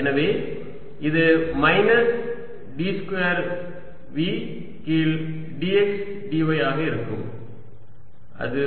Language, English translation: Tamil, so it will become minus d two v by d x d y, which is zero